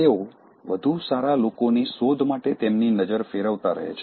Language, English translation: Gujarati, They keep shifting their glances to look for better people